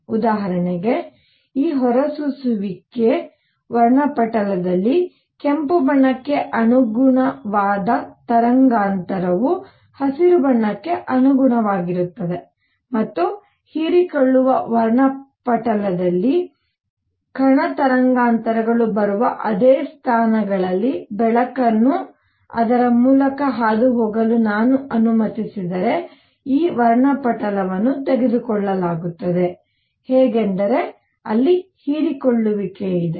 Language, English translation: Kannada, For example, in this emission spectrum, I see a wavelength that corresponds to red corresponds to green and so on and in the absorption spectrum, if I let light pass through it at the same positions where the particle wavelengths are coming; there is an absorption how is this spectrum taken